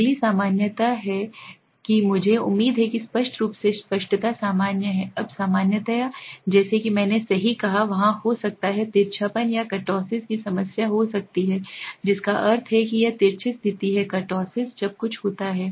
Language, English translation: Hindi, The next is normality I hope outlier is clear normality, now normality as I said right, there could be a problem of skewness or kurtosis peaked that means that is this is the case of skewness kurtosis is something when